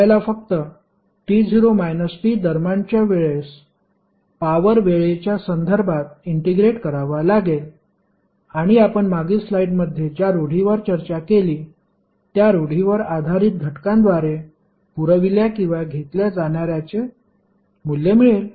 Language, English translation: Marathi, You have to just simply integrate the power with respect to time between t not to t and you will get the value of energy supplied or absorbed by the element based on the convention which we discussed in the previous slide